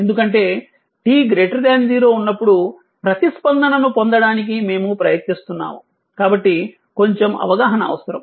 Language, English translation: Telugu, Because, it is we are trying to obtain the response for t greater than 0, little bit understanding is required